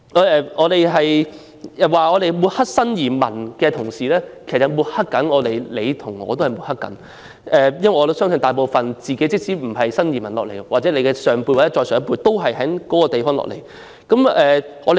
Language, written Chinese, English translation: Cantonese, 有議員指我們抹黑新移民，其實他在抹黑自己和我，因為即使他自己並非新移民，我相信他的上一輩人或再上一輩人皆是從內地來港的。, A Member accused us of smearing new arrivals . Actually he was smearing himself and me . The reason is that even if he himself is not a new arrival I believe his family members from the previous generation or even the generation before it are immigrants from the Mainland